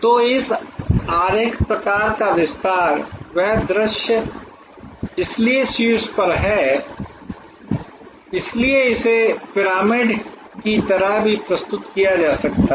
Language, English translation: Hindi, So, this diagram kind of expands, that view, so on the top is, so this can be even also presented like a pyramid